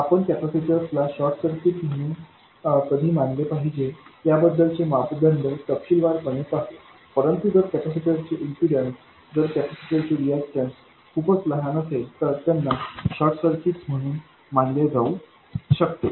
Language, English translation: Marathi, We will see the detailed criteria when to treat the capacitors a short but if the impedance of the capacitor, if the reactance of the capacitor is very small it can be treated as a short